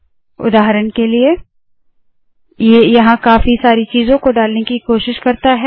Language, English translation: Hindi, For example, it tries to fill lots of things here